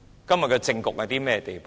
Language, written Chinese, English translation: Cantonese, 今天的政局到了甚麼地步？, How lamentable has the political situation become now?